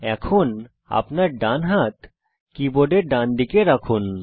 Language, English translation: Bengali, Now, place your right hand, on the right side of the keyboard